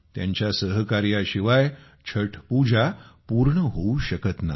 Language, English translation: Marathi, Without their cooperation, the worship of Chhath, simply cannot be completed